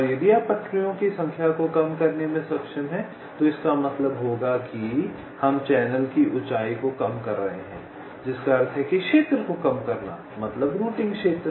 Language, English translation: Hindi, and if you are able to reduce the number of tracks, it will mean that we are reducing the height of the channel, which implies minimizing the area, the routing area